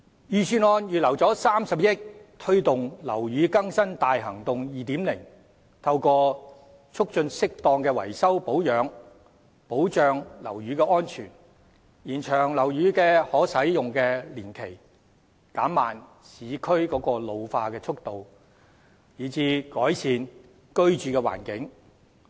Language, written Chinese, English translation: Cantonese, 預算案預留30億元推動"樓宇更新大行動 2.0"， 透過促進適當的維修保養，保障樓宇安全，延長樓宇可使用年期，減慢市區老化的速度，以改善居住環境。, The Budget has earmarked 3 billion for the promotion of Operation Building Bright 2.0 . Through facilitating proper repairs and maintenance of buildings the objective is to ensure building safety and extend the useful life of buildings to slow down the pace of urban decay thereby improving the living conditions